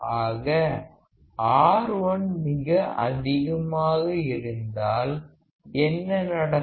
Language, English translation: Tamil, So, if R1 is extremely high; then what will happen